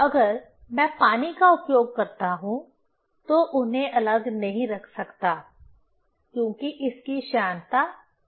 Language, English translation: Hindi, If I use water, cannot keep them separate; because its viscosity is lower